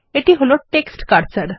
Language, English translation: Bengali, This is the text cursor